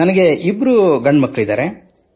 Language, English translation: Kannada, I have two sons